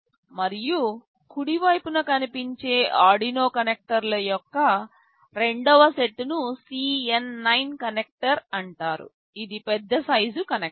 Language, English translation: Telugu, And, the second set of Arduino connectors that appears on the right side is called CN9 connector, this is a larger sized connector